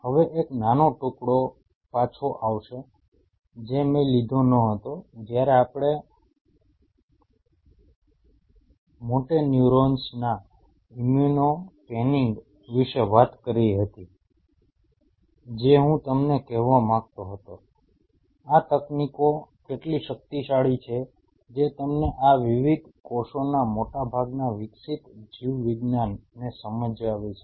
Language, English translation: Gujarati, Now coming back one small tail piece which I did not cover while we talked about the immuno panning of the motoneurons which I just wanted to tell you, how powerful these techniques are provided you understand the developed biology of most of these different cell types